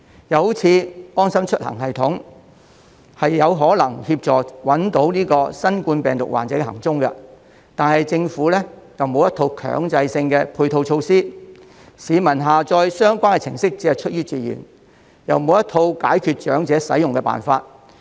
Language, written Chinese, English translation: Cantonese, 又例如"安心出行"系統，它有可能協助找出新冠病毒患者的行蹤，但政府沒有一套強制性的配套措施，市民只是出於自願下載相關程式，亦沒有一套解決長者使用的辦法。, The app may help track the whereabouts of new COVID - 19 patients . However the Government does not have any mandatory supporting measures; and people are allowed to download the app on a voluntary basis . Besides there is not any arrangement for helping elderly on its usage